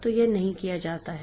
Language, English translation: Hindi, So, that has that is not done